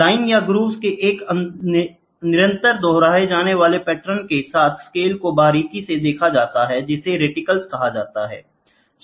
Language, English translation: Hindi, Scales with a continuous repeating pattern of lines or groves that are closely spaced are called as reticles